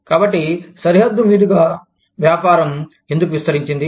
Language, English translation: Telugu, So, why has business expanded, across the border